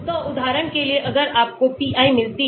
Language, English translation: Hindi, So, for example if you get the pi